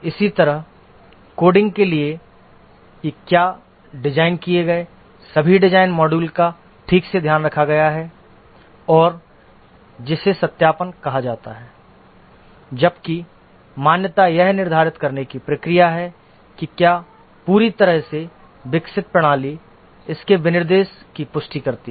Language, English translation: Hindi, Similarly, for coding, whether all the design modules that were designed have been taken care properly and that is called as the verification whereas validation is the process of determining whether a fully developed system confirms to its specification